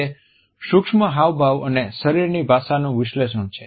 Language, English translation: Gujarati, It is an analysis of micro expressions and body language